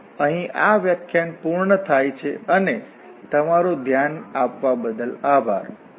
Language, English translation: Gujarati, So that is all for this lecture and thank you very much for your attention